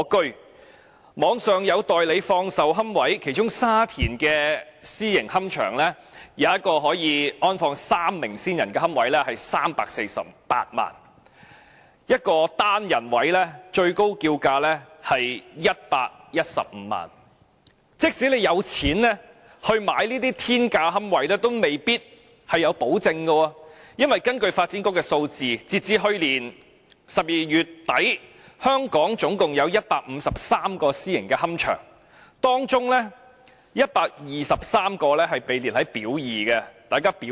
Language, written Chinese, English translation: Cantonese, 互聯網上有放售龕位，其中沙田有私營龕場一個可安放3位先人骨灰的龕位是348萬元 ，1 個單人位最高叫價是115萬元，即使你有錢買這些天價龕位，也未必有保證，因為根據發展局的數字，截至去年12月底，香港總共有153個私營龕場，當中123個被列入"表二"。, The highest asking price of a niche for placing the ashes of one deceased person is 1.15 million . Even if one can afford to buy niches at such exorbitant prices the legality of the niches is not guaranteed . According to the figures provided by the Development Bureau as at the end of December last year there were a total of 153 private columbaria in Hong Kong among which 123 were listed under Part B